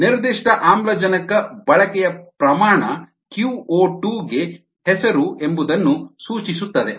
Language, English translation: Kannada, the specific oxygen consumption rate is the name for q o two